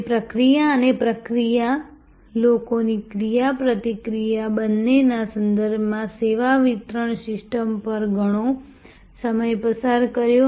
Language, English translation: Gujarati, We spent a lot of time on service delivery system in terms of both process and process people interaction